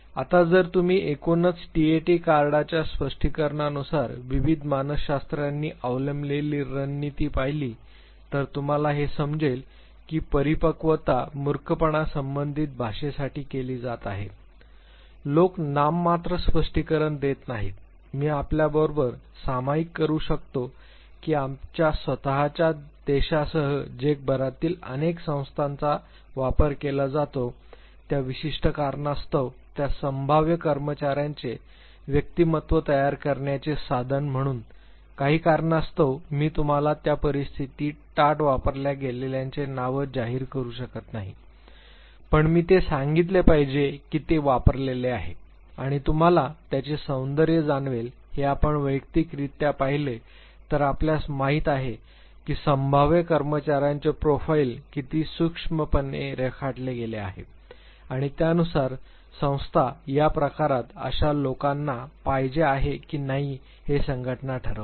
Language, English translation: Marathi, If you overall look at now the strategy adopted by various psychologists in terms of interpreting TAT cards you would realize that maturity goes for idiographic interpretation people do not go for nomothetic interpretation I can share with you that many organizations worldwide including our own country TAT is used as tool to make the personality profile of the prospective employee of that very firm for certain reasons I cannot disclose you the name of those in situation, where TAT are used, but I must tell you that it is used and you would realize the beauty of it if you see it personally you know that how meticulously the profile of the prospective employees is sketched and accordingly the organization decides whether this type of people are wanted in this type of an organization are not